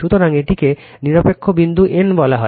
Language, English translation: Bengali, So, this is called neutral point n